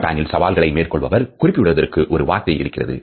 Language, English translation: Tamil, In Japan there is a word for someone who is worthy of praise overcoming a challenge